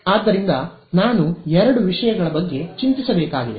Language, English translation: Kannada, So, there are two things that I have to worry about alright